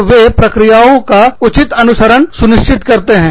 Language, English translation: Hindi, And, they will ensure that, due process is followed